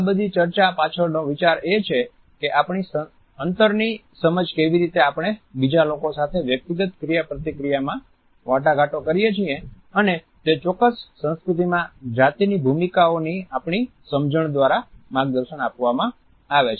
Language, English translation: Gujarati, The idea behind all these discussion is that our understanding of a space how do we negotiate it in our inter personal interaction with other people is guided by our understanding of gender roles in a particular culture